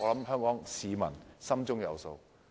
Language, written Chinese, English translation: Cantonese, 香港市民心中有數。, Hong Kong people should know very well